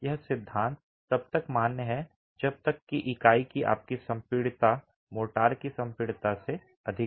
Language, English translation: Hindi, This theory is valid as long as your compressibility of the unit is more than the compressibility of motor